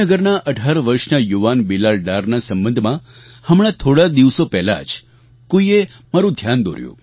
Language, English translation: Gujarati, Just a few days ago some one drew my attention towards Bilal Dar, a young man of 18 years from Srinagar